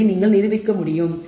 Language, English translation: Tamil, You can prove this